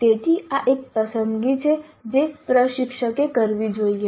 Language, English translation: Gujarati, So this is a choice that the instructor must make